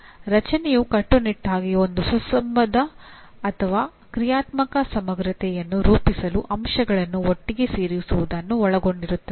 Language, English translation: Kannada, Creation is strictly involves putting elements together to form a coherent or a functional whole